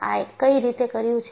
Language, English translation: Gujarati, What way it has done